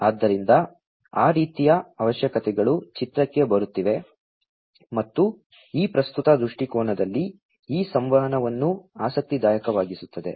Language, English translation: Kannada, So, those kind of requirements are coming into picture and that is what makes this communication interesting in this current perspective